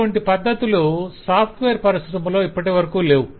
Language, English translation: Telugu, similar practices still do not exist that much in software